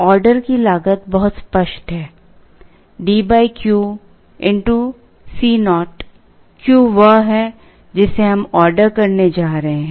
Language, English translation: Hindi, Order cost is very clear; D divided by Q into C naught, Q is Q what we are going to order